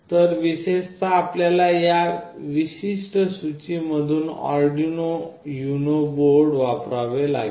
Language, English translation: Marathi, So, specifically you have to use the Arduino UNO board from this particular list